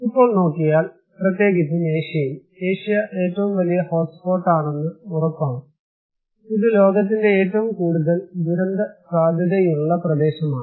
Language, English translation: Malayalam, Now, looking at disaster risk, particularly in Asia that is for sure that Asia is one of the hotspot, it is one of the most disaster prone region in the world